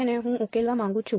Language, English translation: Gujarati, Which I want to solve for